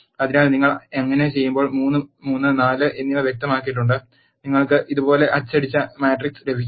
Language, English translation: Malayalam, So, you have specified 3, 3 and 4 when you do that you will get the matrix printed like this